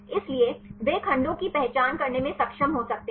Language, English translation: Hindi, So, they could be able to identify the segments